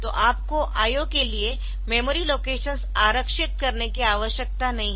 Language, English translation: Hindi, So, you do not have to reserve memory locations for IO